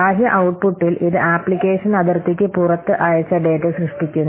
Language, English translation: Malayalam, And in external output, it generates data that is sent outside the application boundary